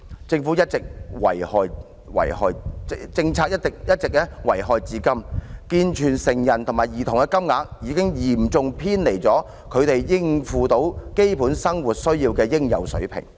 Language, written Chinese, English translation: Cantonese, 這項政策一直遺害至今，以致健全成人及兒童的金額已嚴重偏離他們應付基本生活需要的應有水平。, The harm done by this policy remains today . The payments for able - bodied adults and children have seriously deviated from the level required for meeting their basic needs